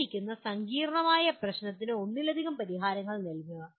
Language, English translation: Malayalam, And give multiple solutions to a given complex problem